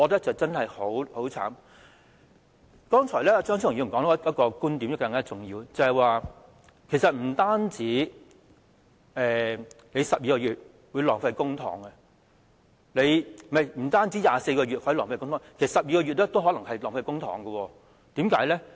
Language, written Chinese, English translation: Cantonese, 張超雄議員剛才提及一個更重要的觀點，便是不單24個月會浪費公帑，其實即使是12個月也可能會浪費公帑的，為甚麼呢？, Another even more important point raised by Dr Fernando CHEUNG is that it is not just setting the period at 24 months that would result in a waste of public funds rather even setting it at 12 months may also result in a waste of public funds . Why?